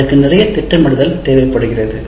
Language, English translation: Tamil, But it requires obviously a lot of planning